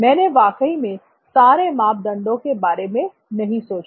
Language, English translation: Hindi, I really did not think about all the parameters that came into thing